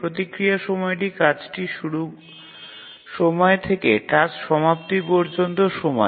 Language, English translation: Bengali, The response time is the time from the release of the task till the task completion time